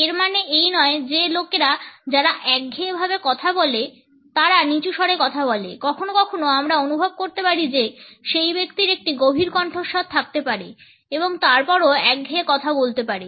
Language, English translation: Bengali, It is not necessary that people who speak in a monotone speak in a low pitched voice, sometimes we may feel that the person may have a booming voice and still may end up speaking in a monotone